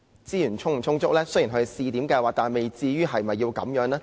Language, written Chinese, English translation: Cantonese, 雖然這只是個試驗計劃，但未至於要這樣吧？, It should not be this bad even though this is merely a pilot scheme